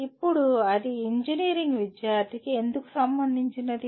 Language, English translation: Telugu, Now why is it relevant to the engineering student